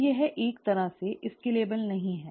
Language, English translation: Hindi, So it is not kind of scalable